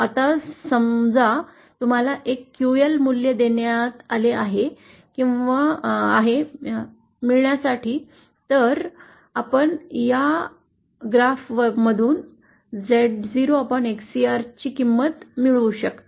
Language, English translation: Marathi, Now suppose you have been given a certain QL value that you have to achieve, then you can find the value of this XCR upon Z0 from this graph